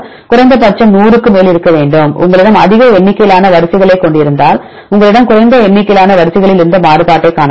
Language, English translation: Tamil, So, at least we need to have more than 100 sequences if you have more number of sequences we can see the variability if you have less number of sequences